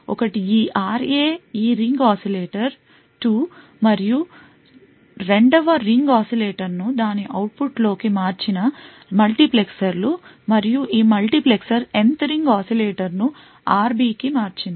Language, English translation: Telugu, One is this RA is due to this ring oscillator 2, and the multiplexers which has switched 2nd ring oscillator into its output and this multiplexer has switched the Nth ring oscillator to RB